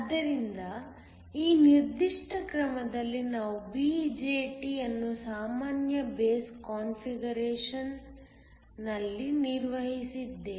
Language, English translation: Kannada, So, In this particular mode we operated the BJT in a common base configuration